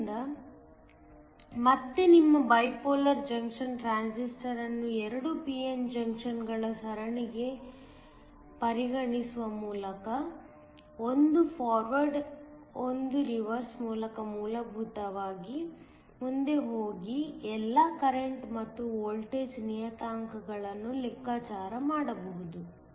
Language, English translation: Kannada, So, by again just treating your bipolar junction transistor as a series of two p n junctions one in forward, one in reverse can essentially go ahead and calculate all the current and the voltage parameters